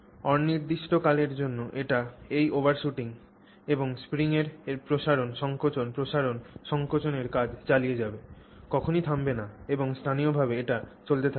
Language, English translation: Bengali, It just goes, continues to do this overshooting and you know expansion compression expansion compression of the spring indefinitely never comes to a halt and then permanently is doing this